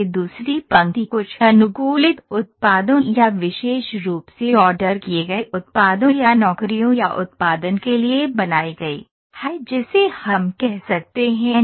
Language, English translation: Hindi, And this second line is put as something customized products or specifically ordered based products or jobs or production I can say